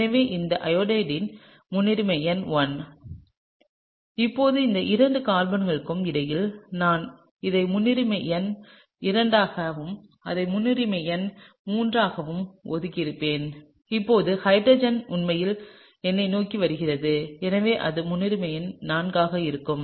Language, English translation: Tamil, So, this Iodo’s priority number 1, now between these two carbons I would have assign this as priority number 2 and this as priority number 3 and now hydrogen is actually coming towards me and so, that will be priority number 4, right